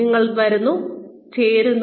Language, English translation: Malayalam, You just come, you join